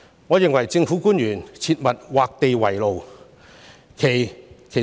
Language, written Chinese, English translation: Cantonese, 我認為政府官員切勿畫地為牢。, I think government officials should not impose restrictions on themselves